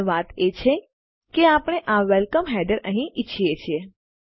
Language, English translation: Gujarati, But the point is that we want this welcome header here